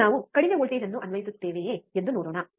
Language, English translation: Kannada, Now, let us see if we apply a less voltage